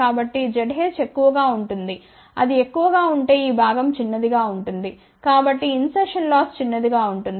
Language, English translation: Telugu, So, Z h is high if it is high this component will be small hence insertion loss will be small